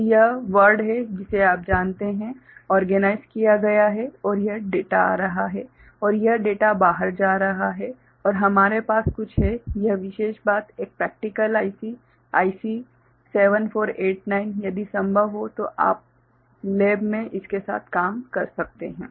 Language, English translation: Hindi, So, this is word you know, organized right and this is the data coming in and this is the data going out and we have some, this particular thing a practical IC, IC 7489; if possible you can work with it in the lab